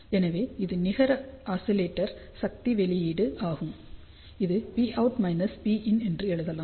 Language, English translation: Tamil, So, this is the net oscillator power output which can be written as P out minus P in